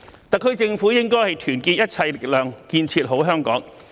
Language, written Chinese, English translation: Cantonese, 特區政府應該團結一切力量，建設好香港。, The SAR Government should unite all forces to build a better Hong Kong